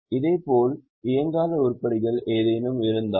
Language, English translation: Tamil, Similarly if there are any non operating items